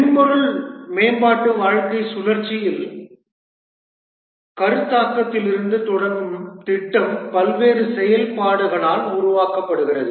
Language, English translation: Tamil, In the software development lifecycle, the project starting from the concept is developed by various activities